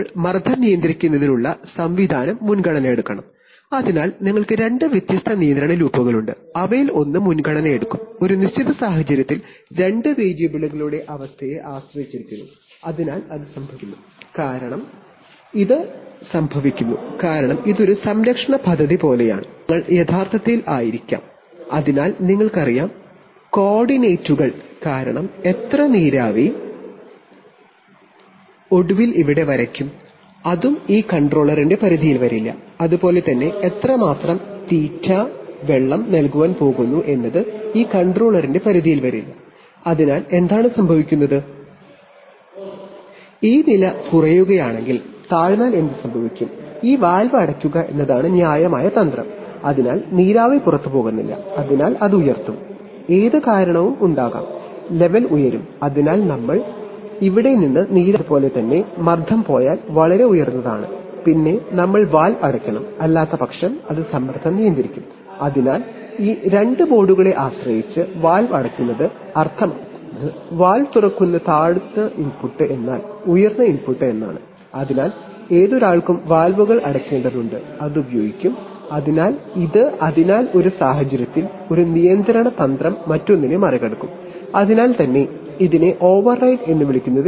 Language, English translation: Malayalam, Then the pressure control mechanism should take precedence, so you are having two different control loops and which one will take precedence in a, in a given situation that depends on the state of to two variables, so that happens, that is happening because it is like, it is like a protective scheme essentially because the controls will be actually, so it you know coordinates because how much of steam will be finally drawn here, that is also not in the within the purview of this of this controller, similarly how much of feed water is going to be fed in that is not also within the purview of this controller, so what happens is that, if this level is falls too low then what will happen is that the judicious strategy will be to close this valve, so that steam is not going out, so that will, that will raise, that will whatever cause is, that the level will rise, so we are, we will not draw steam from here and similarly if the pressure goes too high